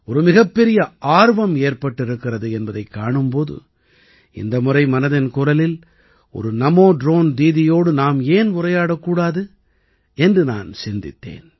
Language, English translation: Tamil, A big curiosity has arisen and that is why, I also thought that this time in 'Mann Ki Baat', why not talk to a NaMo Drone Didi